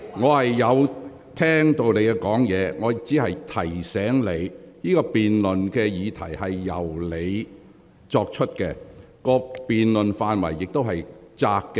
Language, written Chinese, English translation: Cantonese, 我有聆聽你的發言。我只是提醒你，這項議案由你提出，而辯論範圍頗為狹窄。, I have listened to you and I am simply reminding you that this motion being proposed by you has a narrow scope of debate